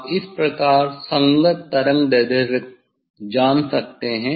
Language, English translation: Hindi, corresponding wavelength you can find out